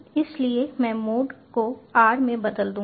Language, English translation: Hindi, so i will change the mode to r